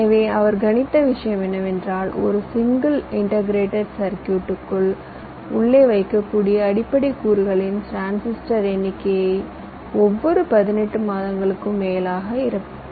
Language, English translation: Tamil, so what you predicted was that, ah, the number of transistors, of the basic components that you can pack inside a single integrated circuit, would be doubling every eighteen months or so